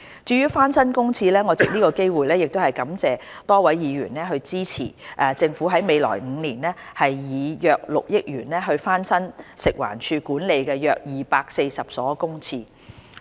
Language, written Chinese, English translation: Cantonese, 至於翻新公廁方面，我藉此機會感謝多位議員支持政府在未來5年以約6億元翻新食環署管理的約240所公廁。, Regarding the refurbishment of public toilets I would like to take this opportunity to thank the many Members who have supported the proposal of the Government to refurbish about 240 public toilets managed by FEHD in the coming five years incurring a total expenditure of approximately 600 million